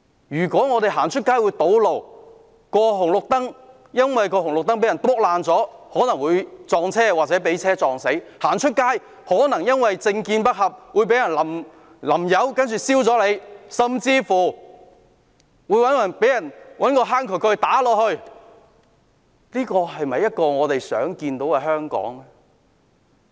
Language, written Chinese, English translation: Cantonese, 如果我們外出會遇上堵路，會因為紅綠燈遭人破壞而遇上車禍死亡，會因為政見不合而遭人淋油或放火燒，甚至被人用渠蓋敲打，這是我們樂見的香港嗎？, If when we go out we would encounter road blockage be killed in a car accident due to the destruction of traffic lights be splashed paint or set ablaze due to differing political views or even be hit with a drain cover is this still the Hong Kong that we would like to see?